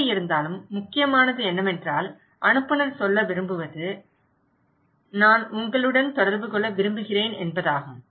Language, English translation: Tamil, Anyways, the important is that when the sender wants to say that okay I want to communicate with you